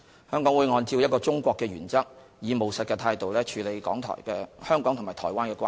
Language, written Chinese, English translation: Cantonese, 香港會按照一個中國的原則，以務實態度處理香港和台灣的關係。, In accordance with the One China principle Hong Kong will deal with its relationship with Taiwan in a pragmatic manner